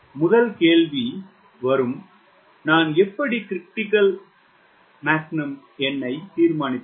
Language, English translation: Tamil, first question will come: how do i determine m critical